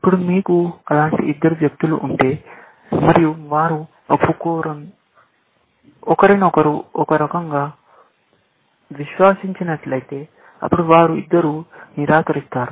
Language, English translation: Telugu, Now, if you have two such people, and they have trust in each other in some sense; then, they will both deny